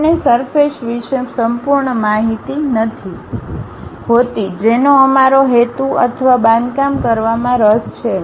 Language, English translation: Gujarati, We do not know complete information about surface which we are intended or interested to construct